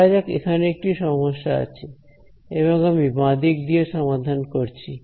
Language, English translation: Bengali, Let us say that there is a problem that I am using I am solving by the left hand side